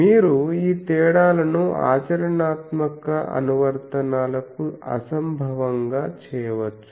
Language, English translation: Telugu, You can make these differences inconsequential to the practical applications